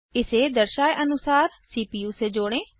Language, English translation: Hindi, Connect it to the CPU, as shown